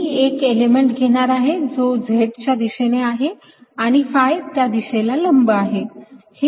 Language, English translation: Marathi, i am going to take an element which is in the z direction and perpendicular to the phi direction